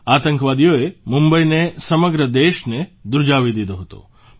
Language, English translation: Gujarati, Terrorists had made Mumbai shudder… along with the entire country